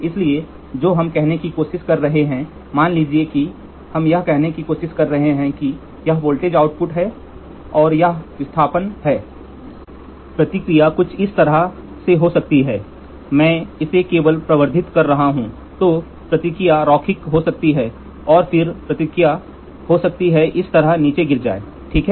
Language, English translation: Hindi, So, what we are trying to say is suppose let us try to say this is the voltage output and this is the displacement, the response can be something like this, I am just amplifying it then the response can be linear and then the response can fall down like this, ok